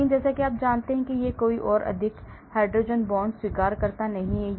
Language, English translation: Hindi, But as you know it is no more hydrogen bond acceptor